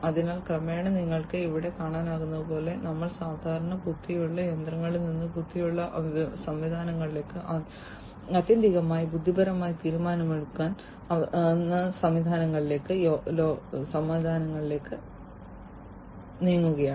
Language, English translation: Malayalam, So, and gradually as you can see over here we are moving to the world from regular intelligent machines to intelligent systems to ultimately intelligent decision making systems